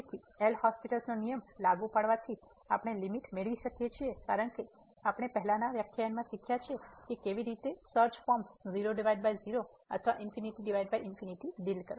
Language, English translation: Gujarati, So, applying the L’Hospital rule we can get the limit because we have already learnt in the last lecture how to deal search forms 0 by 0 or infinity by infinity